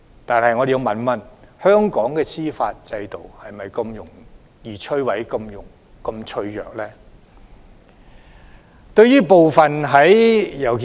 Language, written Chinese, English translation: Cantonese, 但是，我們要問一問，香港的司法制度是否如此容易被摧毀、是否如此脆弱？, However we must ask if Hong Kongs judicial system is so fragile that can be crushed so easily